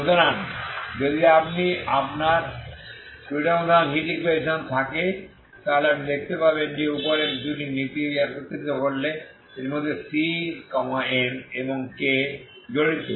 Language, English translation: Bengali, So if you have a two dimensional heat equation so you will see that if you combine this two it will involve C m and k, okay